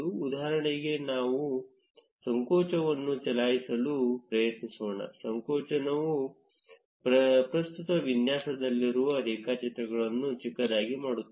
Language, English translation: Kannada, For instance, let us try running contraction; contraction will just zoom out the graphs in the current layout